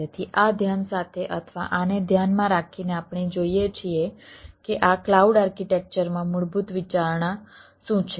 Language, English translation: Gujarati, so, with this respect, or with keeping this in view, we see that ah, what are the ah basic consideration to have in this cloud architecture